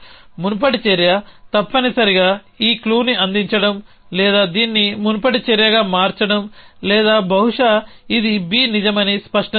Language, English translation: Telugu, The previous action must be to make this clue or to make this the previous action must be or maybe it is make clear B true